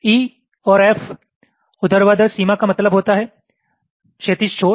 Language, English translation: Hindi, vertical boundary means horizontal edge